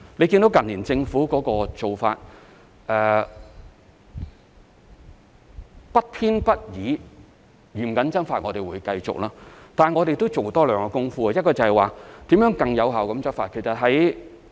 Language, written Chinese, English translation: Cantonese, 政府近年的做法是不偏不倚、嚴謹執法，我們會繼續這樣做，但我們會多做兩方面的工夫，一方面是如何更有效地執法。, In recent years the approach of the Government has been strict and impartial enforcement of the laws . While this approach will continue we will put more efforts in two aspects . On the one hand we will study how to enforce the laws more effectively